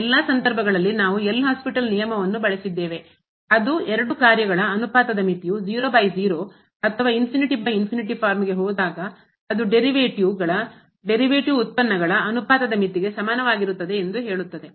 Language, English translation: Kannada, In all the cases we have used the L’Hospital rule which says that the limit of the ratio of the two functions when they go to the 0 by 0 or infinity by infinity form will be equal to the limit of the derivatives ratio of the derivatives